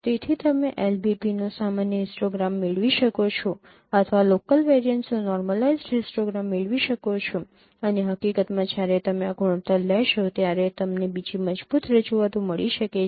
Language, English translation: Gujarati, So you can get normalized histogram of LBP or you can get normalized histogram of local variances and in fact you can get another robust representations when you take these ratios